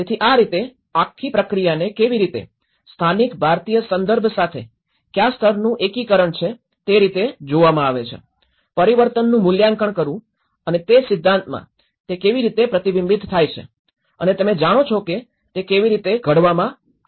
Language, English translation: Gujarati, So, how, what level of integration with the local Indian context and that is how this whole process is looked at you know, assessing the transformation and looking back into the theories reflecting how it is reflected with the theory and you know, that is how it has been formulated